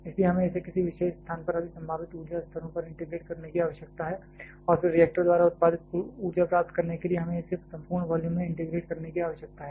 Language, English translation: Hindi, So, we need to integrate this over all possible energy levels, at any particular location and then to get the total energy produced by the reactor we need to integrate this over the entire volume